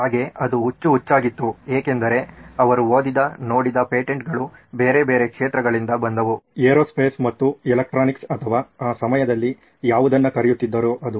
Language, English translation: Kannada, So this was crazy because the patents that he was looking at reading were from different domains aerospace and electronics or whatever was invoke at that time